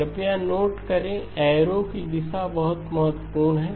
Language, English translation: Hindi, Please note the direction of the arrows very important okay